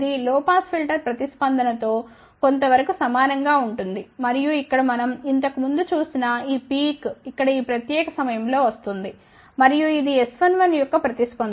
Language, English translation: Telugu, This is somewhat similar to a low pass filter response and this thing peak which we had seen earlier over here is what is coming had this particular point here and this is the response for the S 1 1